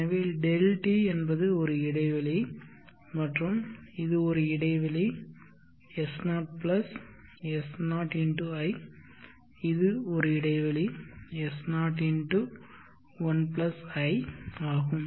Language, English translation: Tamil, t is the interval and it is just one interval s0+ s0 x i which is s0 x 1 + i